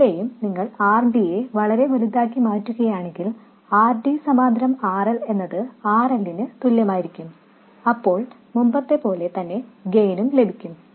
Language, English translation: Malayalam, Here also if we make RD very, very large, then RD parallel RL will be approximately equal to RL and we get the same gain as before